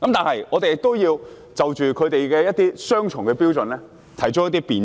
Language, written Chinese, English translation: Cantonese, 此外，我們也要就着他們的雙重標準提出辯斥。, Furthermore we have to reprove them for their double standard